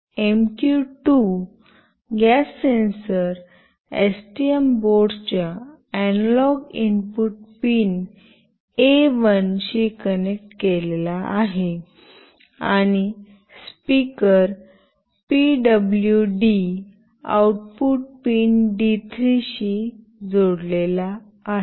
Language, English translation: Marathi, The MQ2 gas sensor is connected to the analog input pin A1 of STM board and a speaker is connected to the PWM output pin D3